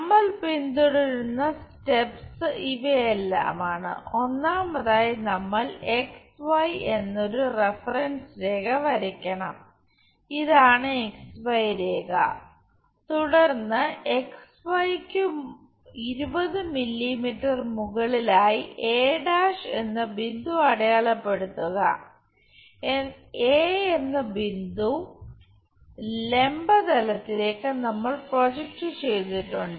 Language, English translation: Malayalam, First of all one has to draw a reference line XY this is the XY line, then mark a point a’ at a distance 20 mm above XY point a we projected on to vertical plane 20 mm